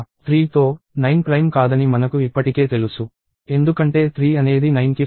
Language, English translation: Telugu, We already know that with 3, 9 is not a prime anymore because 3 is a factor of 9